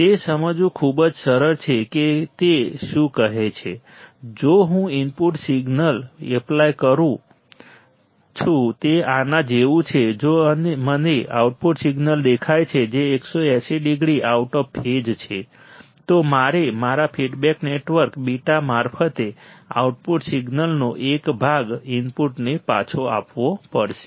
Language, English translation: Gujarati, It is very easy to understand what is saying is that if I apply input signal which is like this if I see output signal which is 180 degree out of phase, I have to I have to provide a part of the output signal back to the input through my feedback network beta